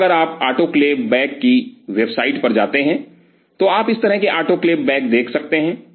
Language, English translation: Hindi, And if you visit websites of autoclave bags autoclave bags, you can see these kind of autoclave bags